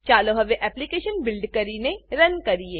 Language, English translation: Gujarati, Let us now build and run the application